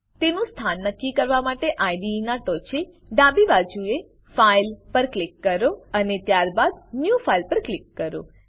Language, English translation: Gujarati, To locate it, at the top left of the IDE, click on File, and then click on New File